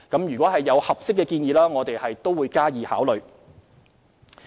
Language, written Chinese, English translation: Cantonese, 如有合適建議，我們會加以考慮。, Granting suitable proposals we will give them consideration